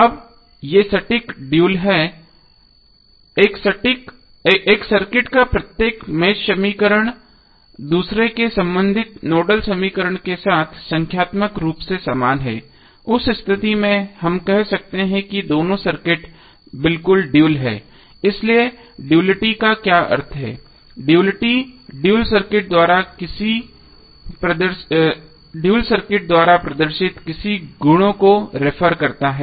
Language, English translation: Hindi, Now this are exact dual, each mesh equation of one circuit is numerically identical with the corresponding nodal equation of the other, in that case we can say that both of the circuits are exactly dual, so what does duality means, duality refers to any of the properties exhibited by the dual circuit